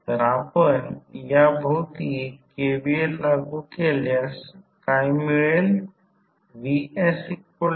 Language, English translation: Marathi, So, if you apply KVL around this, what you get